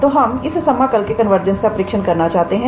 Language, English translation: Hindi, So, we want to test the convergence of this integral here